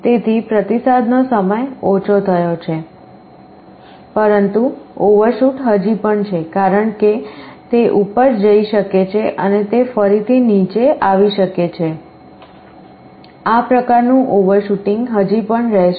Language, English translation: Gujarati, So response time is decreased, but overshoot still remains as it can go up and it can again go down, this kind of overshooting will still be there